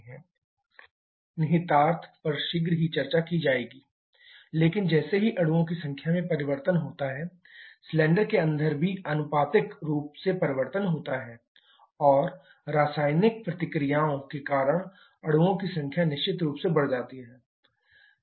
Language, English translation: Hindi, The implication of this shall be discussing shortly, but as the number of molecules changes the pressure inside the cylinder also changes proportionately and number of molecules definitely changed because of the chemical reactions